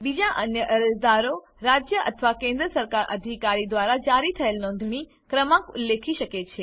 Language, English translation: Gujarati, Other applicants may mention registration number issued by State or Central Government Authority